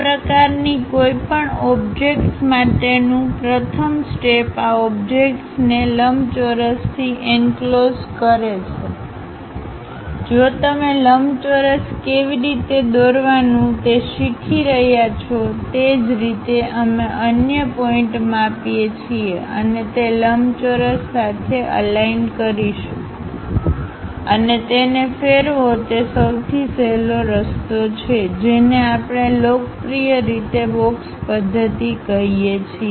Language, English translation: Gujarati, First step for any of these kind of objects enclose these objects in rectangle if you are knowing how to draw a rectangle, similarly we measure the other points and align with that rectangle and rotate it that is the easiest way which we popularly call as box method